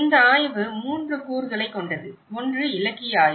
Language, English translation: Tamil, This study has composed of 3 components; one is the literature review